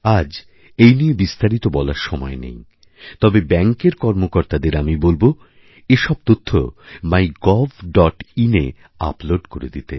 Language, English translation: Bengali, There isn't enough time today, but I would certainly like request the bankers to upload these inspiring stories, on MyGov